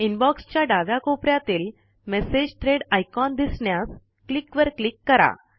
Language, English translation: Marathi, Click on the Click to display message threads icon in the left corner of the Inbox